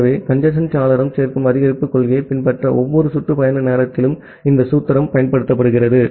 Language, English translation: Tamil, So, this formula is applied at every round trip time to have the congestion window follow additive increase principle